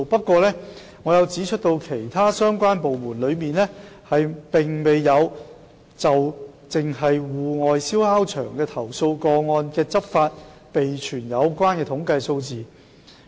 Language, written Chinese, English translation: Cantonese, 同時，我亦指出其他相關部門並沒有就涉及戶外燒烤場投訴個案的執法備存統計數字。, At the same time I also pointed out that the other relevant departments did not keep statistics on enforcement relating to complaints against outdoor barbecue sites